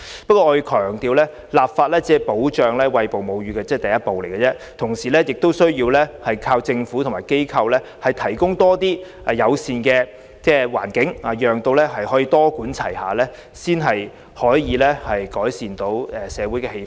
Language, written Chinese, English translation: Cantonese, 不過，我要強調立法只是保障餵哺母乳的第一步，同時亦有賴政府和各機構提供更多友善環境，多管齊下，才能改善社會的氣氛。, However I must stress that legislation is only the first step to safeguarding breastfeeding; we also rely on the Government and various organizations to create a more mother - friendly environment . Social acceptance can only be improved by adopting a multi - pronged approach